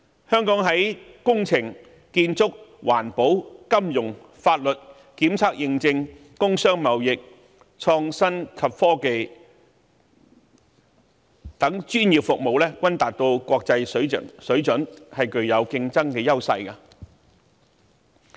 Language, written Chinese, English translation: Cantonese, 香港的工程、建築、環保、金融、法律、檢測驗證、工商貿易、創新及科技等專業服務均達國際水準，具競爭優勢。, Our professional services on engineering construction environmental protection finance law testing and certification trade and industry and IT are of international standards with competitive edges